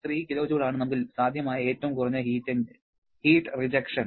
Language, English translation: Malayalam, 3 kilojoule is the maximum sorry minimum possible heat rejection that we can have